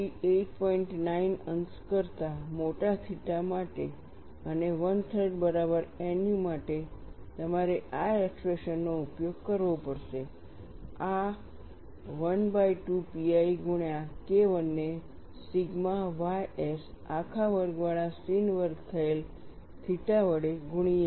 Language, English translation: Gujarati, 9 degrees and nu equal to 1 by 3, you have to use this expression, this is 1 by 2 pi, multiplied by K 1 by sigma ys whole square sin square theta